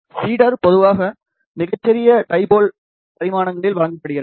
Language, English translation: Tamil, Feed is generally given at the smallest dipole dimensions